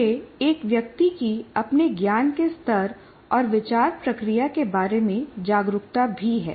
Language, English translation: Hindi, It is also a person's awareness of his or her own level of knowledge and thought processes